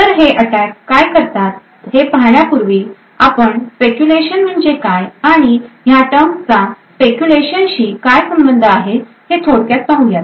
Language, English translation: Marathi, So before we go into what these attacks are, so let us have a brief background into what speculation means and what these terms connected to speculation actually do